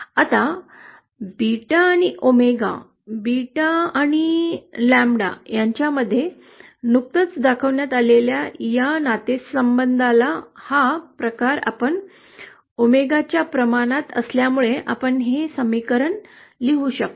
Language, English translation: Marathi, Now this kind of curve as from this relationship that is showed just now between beta and omega, beta and lambda since lambda is proportional to omega, we can write this equation